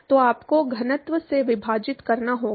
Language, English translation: Hindi, So, you have to divide by density